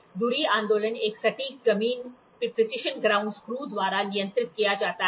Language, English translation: Hindi, The spindle moves movement is controlled by a precision ground screw